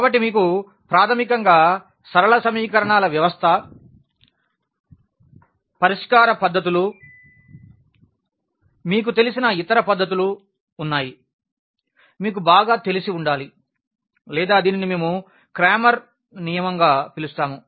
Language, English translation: Telugu, So, the system of linear equations, the solution methods we have basically the other methods to like the method of determinants you must be familiar with or we call this Cramer’s rule